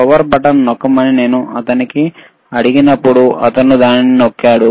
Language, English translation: Telugu, Wwhen I when I ask him to press power button, he will press it